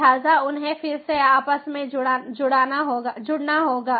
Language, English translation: Hindi, they all are going to get connected